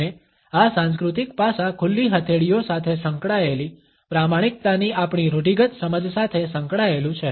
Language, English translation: Gujarati, And this cultural aspect has come to be associated with our archetypal understanding of honesty being associated with open palms